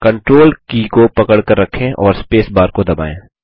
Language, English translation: Hindi, Hold the CONTROL key and hit the space bar